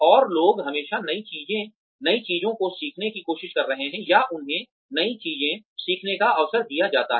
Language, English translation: Hindi, And, people are always trying to learn new things, or, they are given the opportunity to learn new things